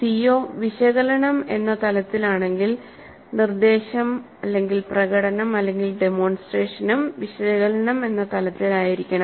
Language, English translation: Malayalam, If the COE is at analyze level, the instruction, the demonstration must be at the analyzed level